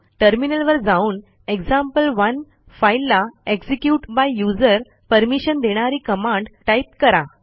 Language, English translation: Marathi, Move to terminal and enter the command to add execute by user permission to file example1